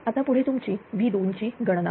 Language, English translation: Marathi, Next is that your V 2 calculation